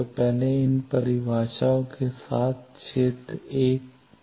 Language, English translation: Hindi, So, first find out from the field 1 with these definitions